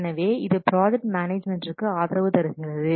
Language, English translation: Tamil, So it supports project management